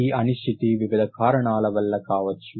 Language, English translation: Telugu, This uncertainty can be due to various reasons